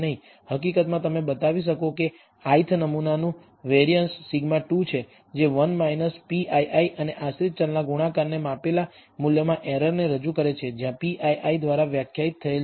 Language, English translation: Gujarati, In fact, you can show that the variance of the i th sample is sigma squared which represents the error in the measured value of the dependent variable multiplied by 1 minus p ii; where p ii is defined by this